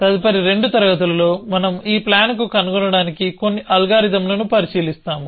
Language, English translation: Telugu, So, in a next couple of classes we will look at a few algorithms to find this plan